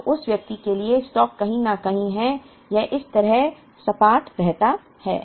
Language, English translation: Hindi, So, the stock for that person is somewhere here it keeps flat like this